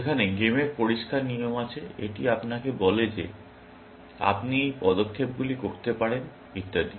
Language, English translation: Bengali, Whereas, games have clear cut rules; it tells you these are the moves you can make and so on